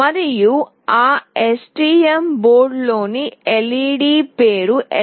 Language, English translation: Telugu, And the name of the LED in that STM board is LED3